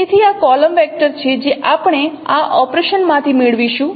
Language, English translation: Gujarati, So this is a column vector that we will get from this operation